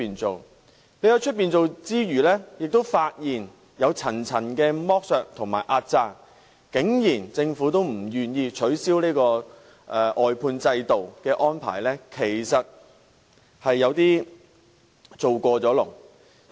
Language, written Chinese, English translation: Cantonese, 外判後，我們發現有層層剝削和壓榨的情況，但政府竟然仍不願意取消外判制度的安排，實在有點過分。, After the work was outsourced we found multi - tier exploitation and suppression but the Government remains reluctant to abolish the arrangements of outsourcing . It has really gone a little too far